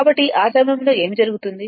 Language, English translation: Telugu, So, at that what will happen